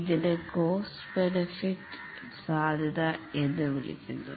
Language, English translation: Malayalam, This is also called as the cost benefit feasibility